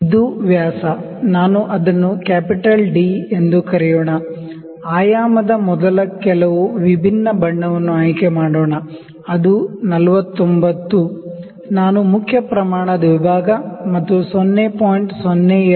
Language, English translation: Kannada, It is this dia, let me call it capital D let me choose some different color before dimensioning, it is 49; I will just use main scale division plus 0